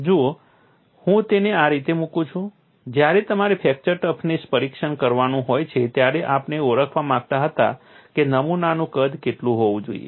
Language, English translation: Gujarati, See let it put it this way, when you have to do the fracture toughness testing; we wanted to identify what should be the size of the specimen